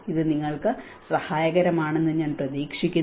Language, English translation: Malayalam, I hope this is helpful for you